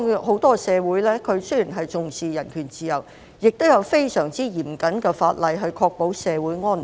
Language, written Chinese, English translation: Cantonese, 很多西方社會雖然重視人權自由，但亦有非常嚴謹的法例，以確保社會安寧。, Many Western societies although attaching importance to human rights and freedom have also enacted very stringent laws to ensure social peace and order